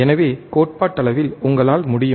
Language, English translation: Tamil, So, theoretically you can theoretical you can